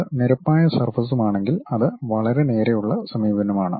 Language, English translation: Malayalam, If it is plane surface it is pretty straight forward approach